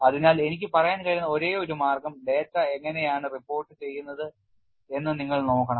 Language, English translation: Malayalam, So, the only way what I can say is, you have to look at how the data is reported